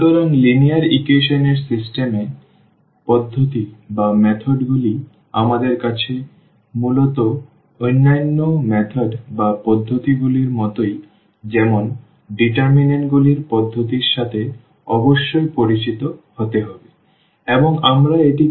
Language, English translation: Bengali, So, the system of linear equations, the solution methods we have basically the other methods to like the method of determinants you must be familiar with or we call this Cramer’s rule